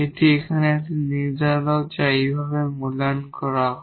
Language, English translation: Bengali, This is a determinant here which is evaluated in this way